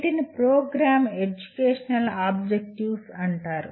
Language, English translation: Telugu, These are called Program Educational Objectives